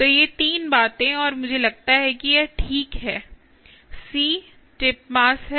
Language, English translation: Hindi, so these three things and yeah, i think this is fine c is tip mass